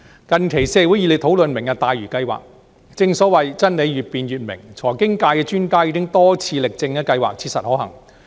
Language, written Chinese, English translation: Cantonese, 近期社會熱烈討論"明日大嶼"計劃，正所謂真理越辯越明，財經界的專家已經多次力證計劃切實可行。, The Lantau Tomorrow Vision has provoked a heated debate in the community recently . As the saying the more truth is debated the clearer it becomes goes financial experts have made a compelling case time and again for the feasibility of the project